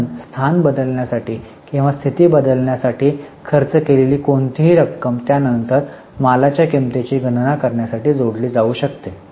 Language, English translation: Marathi, So, any amount which is spent for change of location or change of condition, then that can be added for calculating the cost of inventory